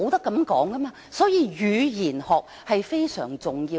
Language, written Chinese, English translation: Cantonese, 因此，語言學非常重要。, So linguistics is very important